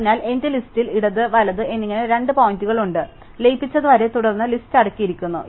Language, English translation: Malayalam, So, there are two pointers in my list left and right, sorted list, up to which the merged is proceeded so far